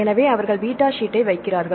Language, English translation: Tamil, So, they put beta sheet